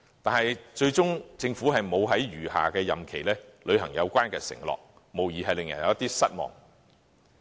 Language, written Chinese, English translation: Cantonese, 但是，政府最終沒有在餘下的任期履行有關承諾，無疑令人有點失望。, Eventually however the Government has not honoured this pledge in the remaining days of its tenure . This certainly is a bit disappointing to us